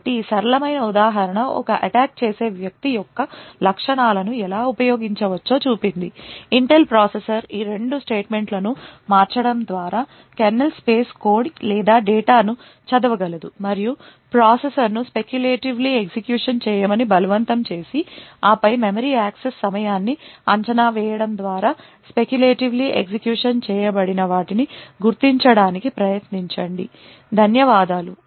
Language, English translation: Telugu, could use the features of an Intel processor to be able to read kernel space code or data just by manipulating these two statements and forcing the processor to speculatively execute and then try to identify what was actually speculatively executed by evaluating the memory access time, thank you